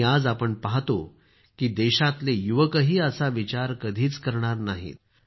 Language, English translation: Marathi, Today, we see that the youth of the country too is not at all in favour of this thinking